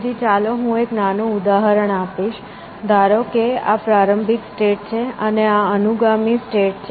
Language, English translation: Gujarati, So, let me use a small example, supposing this is the start state, and this is the successors state